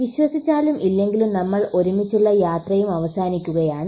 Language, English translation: Malayalam, Believe it or not our journey together is also coming to an end